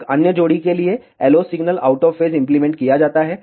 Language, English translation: Hindi, For another diode pair, the LO signal is applied out of phase